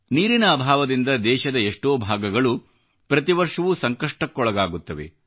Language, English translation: Kannada, Water scarcity affects many parts of the country every year